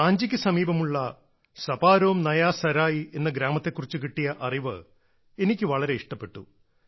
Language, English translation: Malayalam, I was happy to know about Saparom Naya Sarai, a village near Ranchi